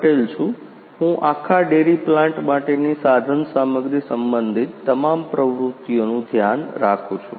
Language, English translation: Gujarati, Hi myself PC Patel, I am looking after all the instrumentation related activity for whole the dairy plants